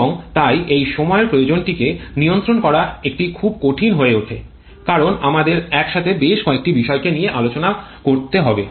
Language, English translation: Bengali, And therefore to control it to control this time requirement it becomes very difficult as we have to deal with several factors simultaneously